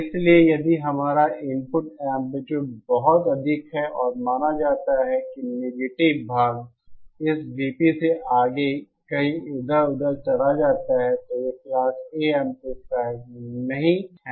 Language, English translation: Hindi, So if our input amplitude is very high and suppose the negative part goes beyond this V P somewhere around here, then it is not a Class A amplifier